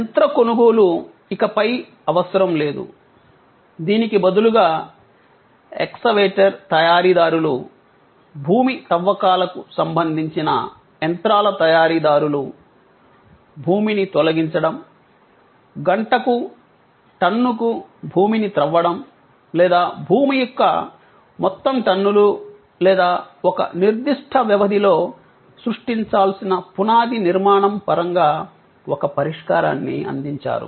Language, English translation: Telugu, So, they came up with a new business proposition, that the machine purchase was no longer needed, rather the excavator manufacturer, the earth moving machinery manufacturer offered a solution in terms of removal of earth, excavation of earth in per ton, per hour basis or total tonnage of earth or a foundation structure to be created over a certain span of time